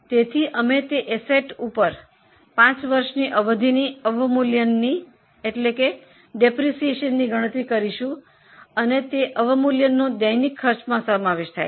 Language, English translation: Gujarati, So, we will charge depreciation on that asset for five years period and that depreciation is included on day to day cost